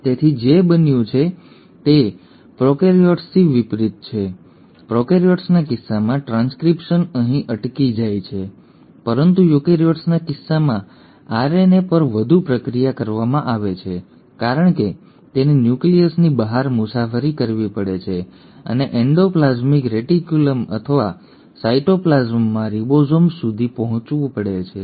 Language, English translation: Gujarati, So what has happened is unlike prokaryotes; in case of prokaryotes the transcription stops here, but in case of eukaryotes the RNA is further processed because it has to travel outside the nucleus and reach to either the endoplasmic reticulum or the ribosomes in the cytoplasm